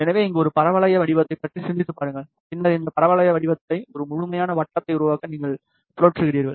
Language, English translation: Tamil, So, just think about a parabolic shape here, and then you rotate this parabolic shape to make a complete circle